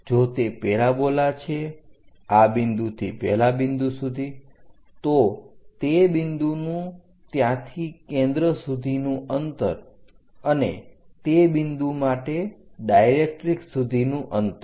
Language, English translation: Gujarati, If it is a parabola from this point to that point distance of that point from there to focus by distance from directrix for that point